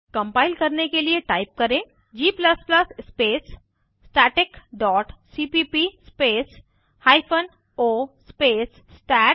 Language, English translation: Hindi, To compile type g++ space static dot cpp space hyphen o space stat